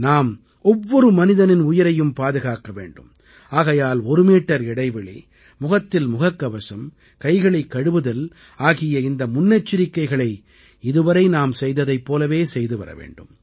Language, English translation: Tamil, We have to save the life of every human being, therefore, distancing of two yards, face masks and washing of hands are all those precautions that are to be meticulously followed in the same manner as we have been observing them so far